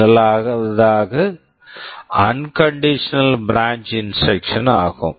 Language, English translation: Tamil, The first one is the unconditional branch instruction